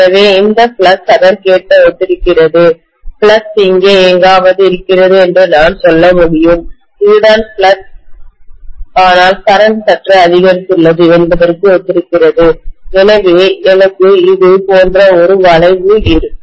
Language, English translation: Tamil, So this flux corresponds to correspondingly I can say the flux is somewhere here, this is what is the flux but corresponding to that the current has increased slightly, so maybe I will have a curve like this